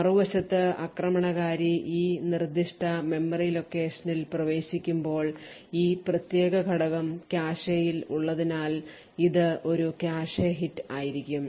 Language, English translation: Malayalam, On the other hand when the attacker finally accesses this specific memory location it would obtain a cache hit due to the fact that this particular element is present in the cache